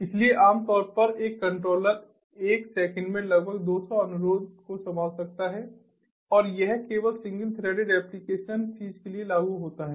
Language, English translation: Hindi, so typically a controller can handle roughly about two hundred requests in a second, and that is applicable for only the single threaded applications thing